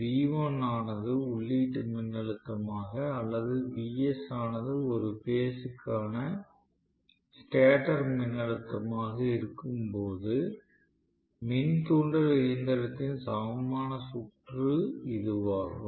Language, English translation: Tamil, This is the normal equivalent circuit of the induction machine with V1 being the input voltage or Vs whatever, you may call it stator per phase voltage